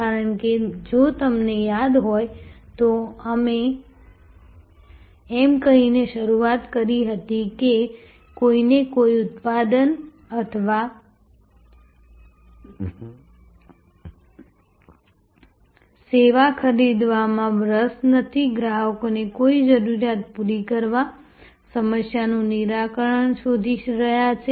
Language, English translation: Gujarati, Because, if you remember, we had started by saying that nobody is interested to buy a product or service, customers are looking for meeting a need, resolving a problem